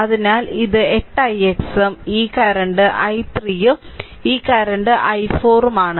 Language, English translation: Malayalam, So, it is 8 i x and this current is i 3 and this current is i 4